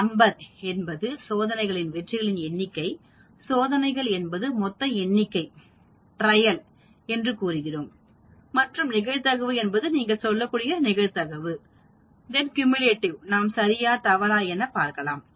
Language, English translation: Tamil, Number s is the number of successes in the trials, trials is the total number and probability s is the probability and cumulative you can say true or false